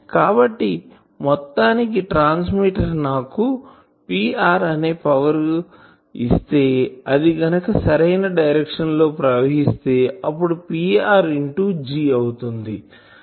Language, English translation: Telugu, So, ultimately if this transmitter is giving me power Pr then I am getting a power from here in this direction effectively as Pr into G